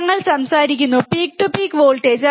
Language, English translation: Malayalam, We are talking about peak to peak voltage, right